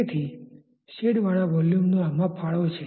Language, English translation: Gujarati, So, the shaded volume has a contribution